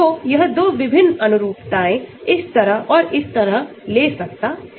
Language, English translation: Hindi, So, it can take 2 different conformations like this and like this